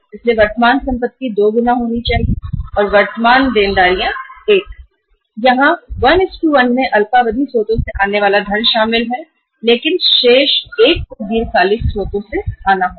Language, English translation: Hindi, So current assets are supposed to be 2 times of the current liabilities and here 1:1 is the funding coming from the short term sources including spontaneous but remaining 1 has to come from the long term sources